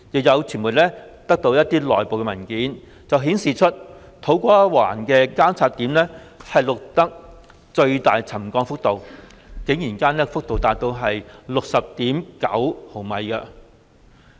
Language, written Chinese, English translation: Cantonese, 有傳媒取得的內部文件顯示，土瓜灣的監測點錄得最大的沉降幅度，竟然高達 60.9 毫米。, As shown in an internal document obtained by the media a monitoring point in To Kwa Wan has recorded the highest settlement level reaching 60.9 mm